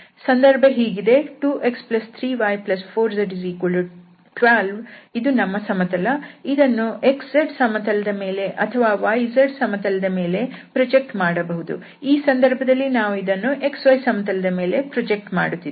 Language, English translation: Kannada, So this was the situation this is the plane here 2x plus 3y plus 4z equal to 12 and then, we can project this either on this x z plane or we can project on the y z plane and now in this present situation we are projecting on the x y plane